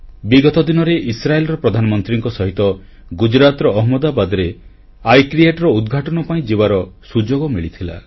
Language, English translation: Odia, A few days ago, I got an opportunity to accompany the Prime Minister of Israel to Ahmedabad, Gujarat for the inauguration of 'I create'